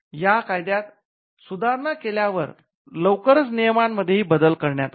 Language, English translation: Marathi, Soon after amending the act, the rules were also amended